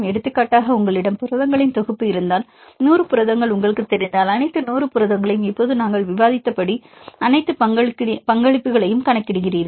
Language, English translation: Tamil, So, we can relate; for example, if you have set of proteins for example, 100 proteins if you know; all the 100 proteins you calculate all the contributions; now as we discussed now